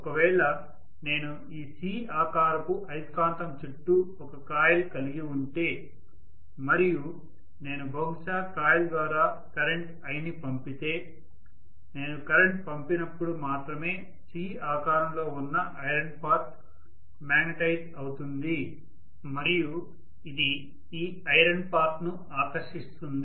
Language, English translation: Telugu, So if I actually have a coil around this C shaped magnet and if I pass probably a current i through this, only when I pass a current the C shaped iron piece is going to get magnetized and it will attract this piece of iron